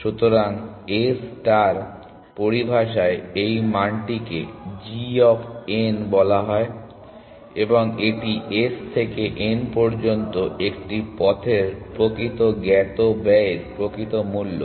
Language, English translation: Bengali, So, in A star terminology this value is called g of n and it is a actual cost of actual known cost of a path which is from S to n